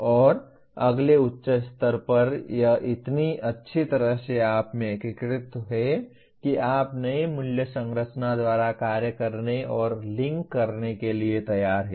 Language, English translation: Hindi, And next higher level it is so thoroughly integrated into you that you are willing to act and link by the new value structure